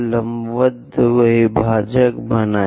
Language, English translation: Hindi, Draw a perpendicular bisector